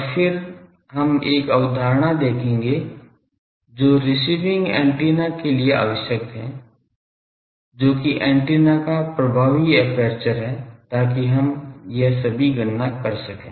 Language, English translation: Hindi, And then we will see a concept which is required for receiving antenna that is the effective aperture of the antenna so that we can do all this calculations